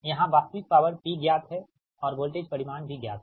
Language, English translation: Hindi, right, here that real power is known, p is known and voltage magnitude is known